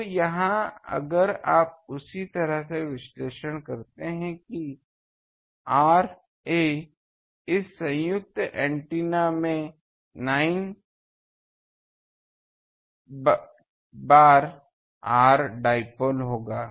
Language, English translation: Hindi, So, here if you analyze in the similar way that R a; the antennas this combined antenna that will be 9 times R dipole etc